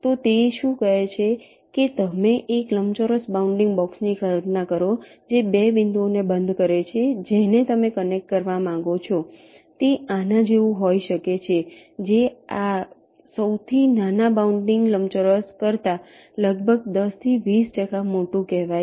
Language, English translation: Gujarati, so what it says is that you imaging a rectangular bounding box which encloses the two points that you want to connect may be like this, which is, say, approximately ten to twenty percent larger than this smallest bounding rectangle